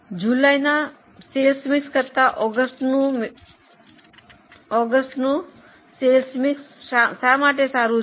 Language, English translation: Gujarati, Why this sales mix is superior to sales mix of July